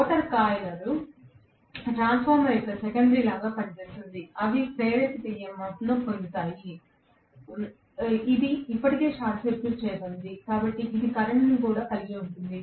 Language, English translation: Telugu, The rotor coil act like the secondary of a transformer, they get induced EMF, it is already short circuited, so it will also carry a current